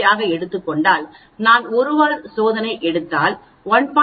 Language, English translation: Tamil, 05 and I take 1 tail test I should be reading here so it should be 1